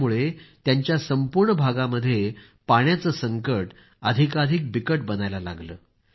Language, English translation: Marathi, This led to worsening of the water crisis in the entire area